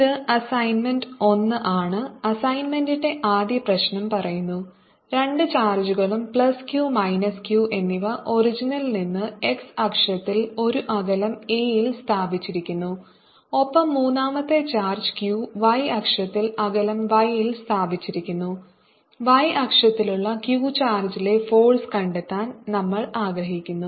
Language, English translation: Malayalam, the first problem of the assignment says there are two charges, plus q and minus q, placed at a distance a from the origin on the x axis, and we put a third charge, q, on the y axis at a distance y, and we wish to calculate the force on the charge q which is on the y axis